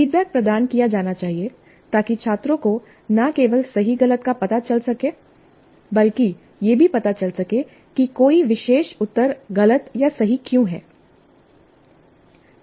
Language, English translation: Hindi, And feedback must be provided to help the students know not only the right from the wrong, but also the reasons why a particular answer is wrong are right